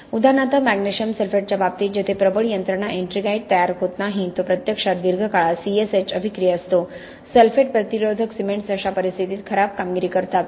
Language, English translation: Marathi, For example in the case of magnesium sulphate where the dominant mechanism is not ettringite formation, it is actually the C S H attack in the long run, sulphate resistance cements are known to perform poorly in that circumstance